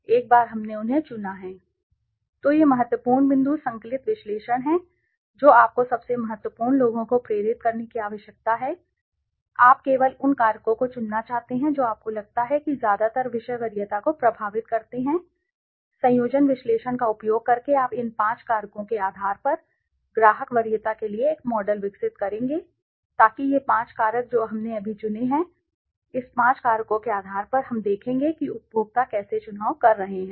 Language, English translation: Hindi, So, these are important point conjoint analysis you need to indentify the most important ones right you want to choose only those factors that you think mostly influence the subject preference using conjoint analyzes you will develop a model for customer preference based on these five factors so these five factors that we have chosen now on the basis of this five factors we will see how are the consumers making a choice